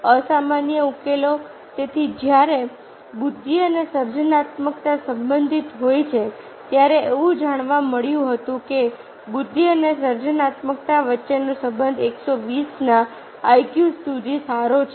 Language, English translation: Gujarati, so therefore, when intelligence and creativity are related, it was found that the relationship between intelligence and creativity holds good up to the i q of hundred twenty